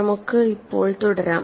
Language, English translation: Malayalam, Let us continue now